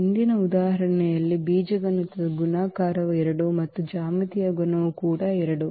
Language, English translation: Kannada, In the previous example though the algebraic multiplicity was 2 and the geometric multiplicity was also 2